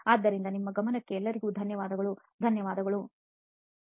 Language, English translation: Kannada, So thank you all very much for your attention, thank you